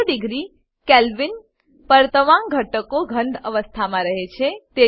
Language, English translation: Gujarati, At zero degree Kelvin all the elements are in solid state